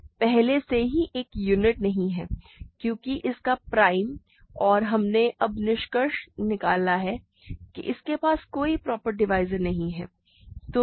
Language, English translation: Hindi, It is already not a unit because its prime and we now concluded that it has no proper divisors